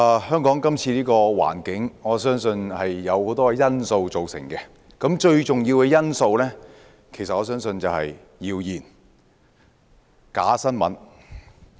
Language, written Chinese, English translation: Cantonese, 香港現時的環境由很多因素造成，而我相信最重要的因素其實就是謠言和假新聞。, The present situation in Hong Kong was caused by many factors . I believe the most crucial one is actually rumours and fake news